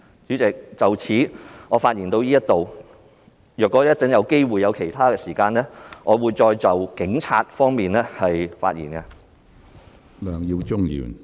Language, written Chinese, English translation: Cantonese, 主席，我發言至此，如果稍後有機會和時間，我會再就警察方面發言。, Chairman I will end my speech here . If later I have the opportunity and time I shall speak on the Police